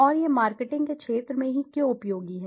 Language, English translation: Hindi, And, why it is so useful mostly in the field of marketing